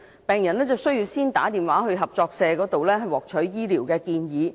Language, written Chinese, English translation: Cantonese, 病人需要先致電合作社獲取醫療建議。, Patients are first required to call the cooperative for medical advice